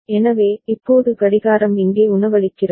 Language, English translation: Tamil, So, now clock is feeding here